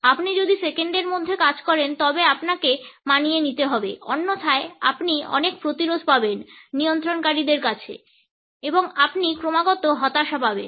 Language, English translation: Bengali, If you work in seconds then you need to adapt otherwise you are going to set yourself up for a lot of resistance from your hosts and you are going to get constant disappointment